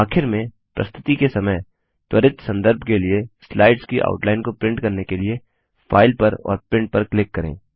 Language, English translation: Hindi, Lastly, to print the outline of the slides for quick reference during a presentation, click on File and Print